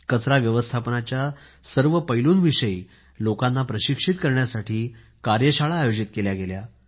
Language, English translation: Marathi, Many Workshops were organized to inform people on the entire aspects of waste management